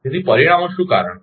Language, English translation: Gujarati, So, results what is the reasons